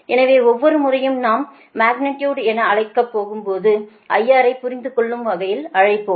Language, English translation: Tamil, so every time i am not calling as magnitude magnitude, i will call i r understandable, right